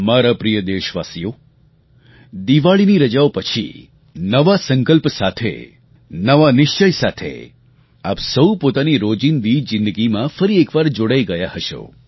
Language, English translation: Gujarati, My dear countrymen, you must've returned to your respective routines after the Diwali vacation, with a new resolve, with a new determination